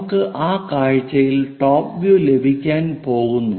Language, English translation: Malayalam, This is what we are going to get on that view as top view